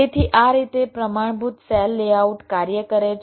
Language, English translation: Gujarati, so this is how a standard cell layout works